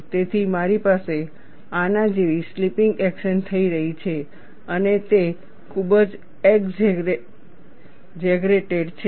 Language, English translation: Gujarati, So, I have slipping action taking place like this and it is highly exaggerated